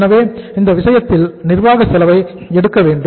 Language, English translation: Tamil, So in this case we have to take the administrative cost